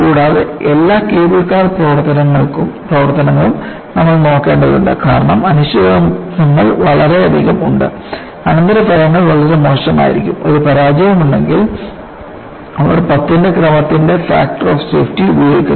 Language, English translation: Malayalam, And also, you have to look at for all the cable car operations because the uncertainties are they are very many, and the consequences will be very bad, if there is a failure, they use of factor of safety at the order of ten